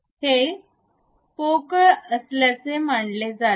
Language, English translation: Marathi, It is supposed to be hollow